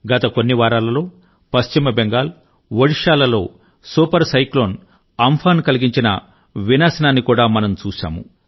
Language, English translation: Telugu, During the last few weeks, we have seen the havoc wreaked by Super Cyclone Amfan in West Bengal and Odisha